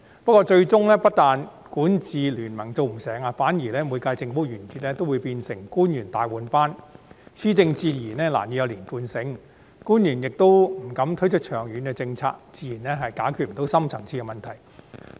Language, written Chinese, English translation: Cantonese, 不過，最終不但管治聯盟做不成，反而每屆政府完結皆會變成官員大換班，施政自然難以有連貫性，官員亦不敢推出長遠政策，自然不能解決深層次矛盾。, But besides the failure to form any such ruling coalition the conclusion of each term of government is instead often followed by a major changeover to the officials so it is naturally difficult to achieve policy coherence . Furthermore as officials do not dare to roll out long - term policies it is understandably impossible to resolve our deep - seated conflicts